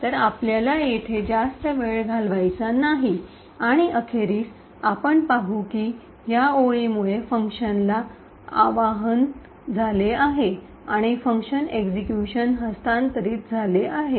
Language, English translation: Marathi, So, we don’t have to spend too much time over here and eventually we would see that the function gets invoked due to this line and the execution has been transferred to the function